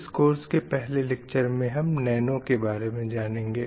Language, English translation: Hindi, The first lecture of this course is introduction to nano